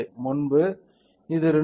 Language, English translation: Tamil, So, previously it was 2